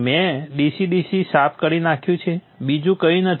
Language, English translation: Gujarati, I have cleaned up DC DC there is nothing else